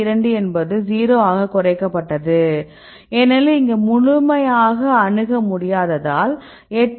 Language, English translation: Tamil, 2 reduced to 0, because it is completely inaccessible right here the 8